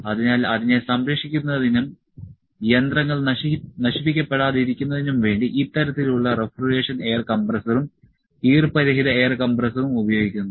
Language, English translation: Malayalam, So, to save that and also to save the machines from being corroded this kind of refrigeration air compressor and moisture free air compressor is used